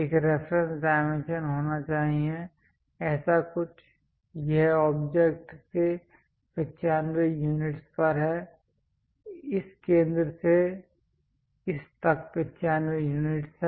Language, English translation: Hindi, There should be a reference dimension, something like this is 95 units from the object from this center to this one is 95